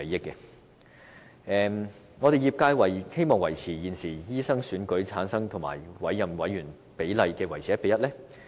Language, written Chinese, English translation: Cantonese, 業界希望把現時經醫生選舉產生和經委任的委員比例維持於 1：1。, The medical sector wants to retain the present ratio of 1col1 between members elected by medical practitioners and appointed members on MCHK